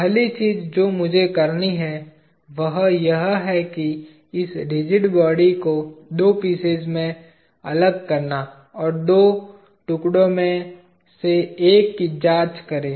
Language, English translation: Hindi, First thing I have to do is, separate this rigid body into two pieces, and examine one of the two pieces